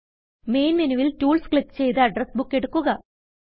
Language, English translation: Malayalam, From the Main menu, click on Tools and Address Book